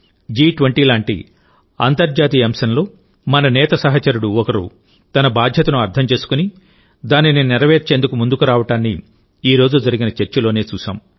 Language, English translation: Telugu, In today's discussion itself, we saw that in an international event like G20, one of our weaver companions understood his responsibility and came forward to fulfil it